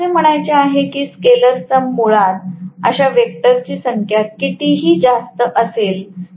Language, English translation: Marathi, I have to say scalar sum basically is going to be n times whatever is the total number of such vectors that is it